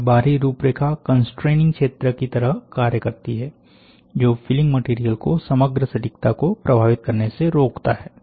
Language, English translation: Hindi, This outer shell also represents a constraining region, that will prevent the filler material from affecting the overall precision